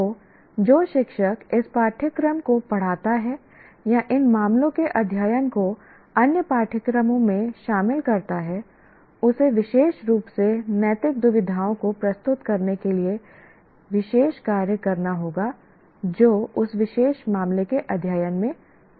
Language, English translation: Hindi, So the teacher who teaches either this course or incorporates these case studies into other courses will have to do special work to really present the ethical dilemmas that would come in that particular case study